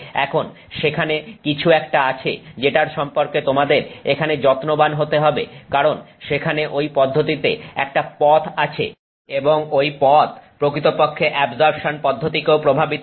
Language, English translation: Bengali, Now there is some things that you have to be careful about here because there is a path here in that process and that path can actually impact the absorption process as well